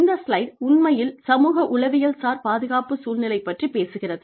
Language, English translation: Tamil, The slide actually talks about, psychosocial safety climate